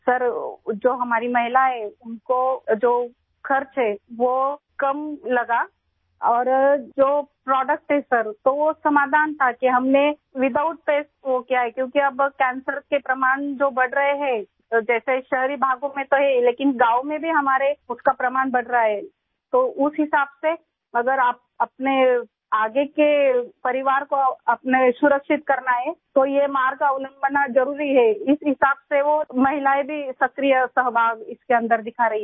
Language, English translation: Hindi, Sir, the expenses incurred by our women were less and the products are there, sir, after getting that solution, we did it without pests… because now the evidence of cancer is increasing in urban areas… yes, it is there, but the evidence of it is increasing in our villages too, so accordingly, if you want to protect your future family, then it is necessary to adopt this path